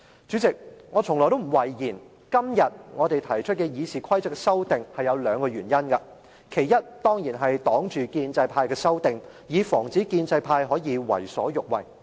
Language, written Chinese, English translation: Cantonese, 主席，我從來不諱言，今天我們提出修訂《議事規則》是有兩個原因，其一，當然是要抵擋建制派的修訂，以防止建制派可以為所欲為。, President I have never been shy of stating that there are two reasons for proposing the amendments to RoP today . First it is to counter the amendments proposed by the pro - establishment camp so that they cannot do whatever they want